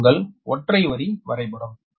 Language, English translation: Tamil, and this is that your single line diagram